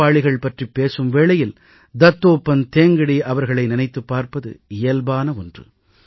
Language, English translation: Tamil, Today when I refer to workers, it is but natural to remember Dattopant Thengdi